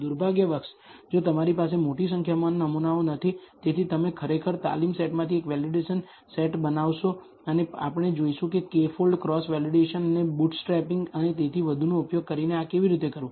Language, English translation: Gujarati, Unfortunately, if you do not have large number of samples, so you would actually generate a validation set from the training set itself and we will see how to do this using what is called K fold cross validation and bootstrapping and so on